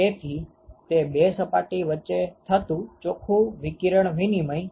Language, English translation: Gujarati, So, that is the net radiation exchange between these two surfaces ok